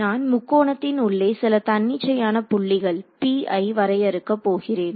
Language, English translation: Tamil, What I am going to do I am going to define some arbitrary point p inside this triangle ok